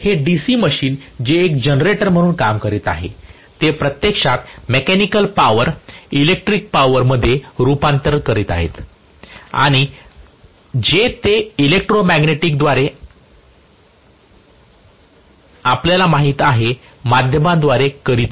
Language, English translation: Marathi, This DC machine which is working as a generator is actually converting the mechanical power into electrical power that is what it is doing and through the electromagnetic you know via media in between you are having the via media that is what is allowing the conversion to take place